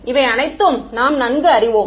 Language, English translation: Tamil, We are familiar with all of this right